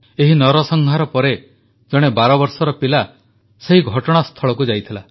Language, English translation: Odia, Post the massacre, a 12 year old boy visited the spot